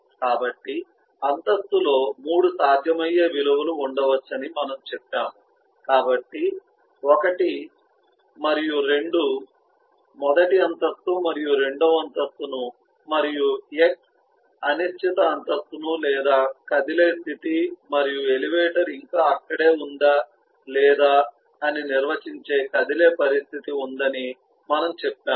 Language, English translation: Telugu, so we said that the floor could have eh 3 possible values, so 1 and 2, the first floor and second floor, and x, which is indeterminate floor, or the moving state, and eh, we said there is a is moving condition which defines weather